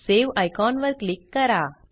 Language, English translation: Marathi, Click the Save icon